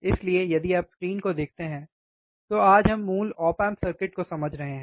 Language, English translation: Hindi, So, if you look at the screen, today we are understanding the basic op amp circuits